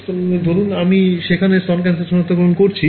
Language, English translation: Bengali, So, supposing I was doing breast cancer detection there